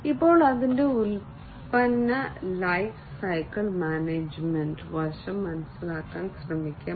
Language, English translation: Malayalam, Now, let us try to understand the product lifecycle management aspect of it